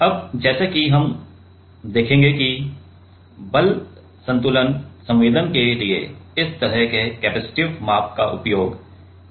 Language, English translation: Hindi, Now, let us say, we will see that, how we can use this kind of capacitive measurement for force balance sensing